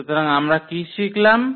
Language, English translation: Bengali, So, what we have learned here